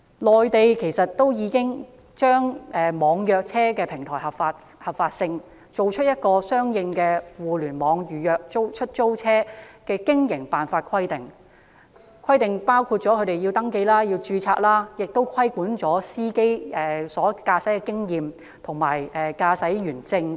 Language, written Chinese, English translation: Cantonese, 內地已確立網約車服務平台的合法性，並制訂相應的互聯網預約出租車的經營辦法規定，包括規定出租車要登記和註冊、司機須具備若干年期的駕駛經驗及持有駕駛員證等。, The Mainland has legalized the online car hailing service platform and formulated the corresponding Regulation on Online Taxi Booking Business Operations and Services . It requires the taxis to be registered and the drivers shall have certain years of driving experience and driving licences etc